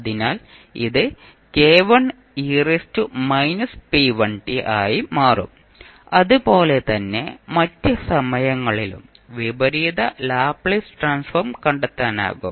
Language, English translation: Malayalam, So, with this you can easily find out the inverse Laplace transform